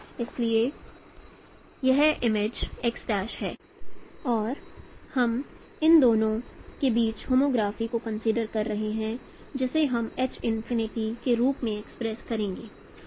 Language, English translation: Hindi, So this image is x prime and we are considering homography between this two and which we will be expressing as H infinity